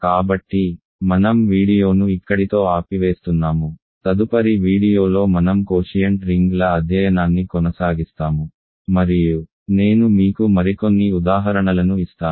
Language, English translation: Telugu, So, I going a stop the video here, in the next video we will continue our study of quotient rings and I will give you a few more examples